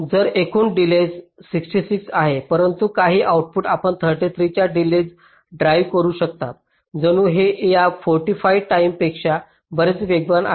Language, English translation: Marathi, so although the total delay is sixty six, but some of the outputs you can drive with the delay of thirty three, ok, as if this is of course much faster than this forty five